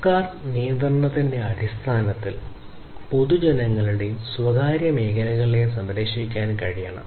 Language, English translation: Malayalam, In terms of government regulation, it is also required to be able to protect the public and the private sectors